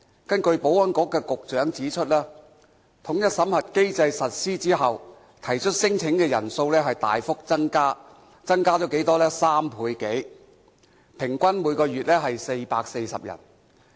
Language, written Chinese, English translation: Cantonese, 根據保安局局長指出，統一審核機制實施後，提出聲請的人數大幅增加，增加了3倍多，每月平均有440人。, According to the Secretary for Security since the implementation of the unified screening mechanism the number of applicants has increased drastically and more than trebled averaging 440 cases per month